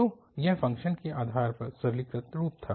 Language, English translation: Hindi, So, this was the simplified form depending on the function